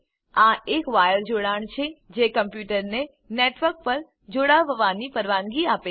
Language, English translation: Gujarati, It is a wired connection that allows a computer to connect to a network